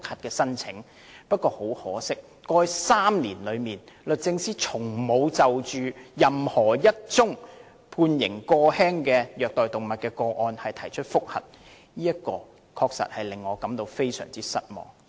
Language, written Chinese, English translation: Cantonese, 然而，很可惜，在過去3年，律政司從沒有就任何判刑過輕的虐待動物個案提出覆核，這確實令我非常失望。, But regrettably over the past three years the Department of Justice has never applied to review the sentence of convicted animal cruelty cases with lenient sentence . I am indeed very disappointed